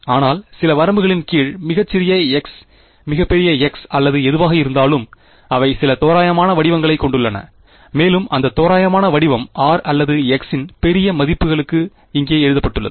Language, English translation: Tamil, But under some limits very small x very large x or whatever, they have some approximate form and that approximate form has been written over here for large values of r or x whatever ok